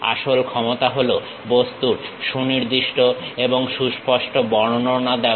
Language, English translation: Bengali, The real power is about precise and unambiguous description of the object